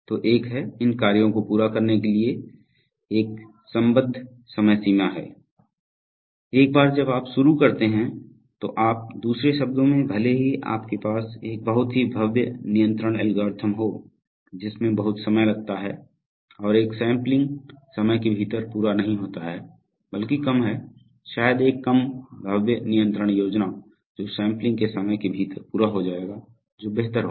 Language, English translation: Hindi, So there is a, there is an associated deadline for completing these tasks once they started, so you, so you, in other words even if you have a very grand control algorithm which takes a lot of time and does not complete within a sampling time is not at all suitable, rather less, probably a less grand control scheme which will complete within the sampling time will be preferable right